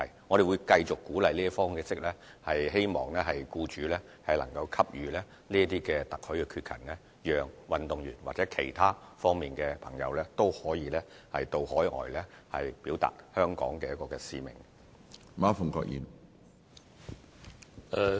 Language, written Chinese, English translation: Cantonese, 我們會繼續以這種鼓勵的方式，希望僱主能夠給予特許缺勤，讓運動員或其他方面的朋友均可到海外表達香港的使命。, We will continue to adopt this approach of encouragement in the hope that employers can grant authorized absence to athletes or people in other areas to go overseas to fulfil their mission for Hong Kong